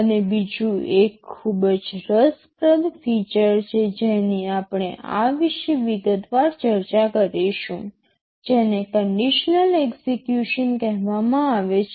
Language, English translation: Gujarati, And there is another very interesting feature we shall be discussing this in detail, called conditional execution